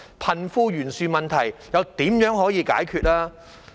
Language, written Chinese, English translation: Cantonese, 貧富懸殊問題又怎麼能解決？, How can the disparity between the rich and the poor be resolved?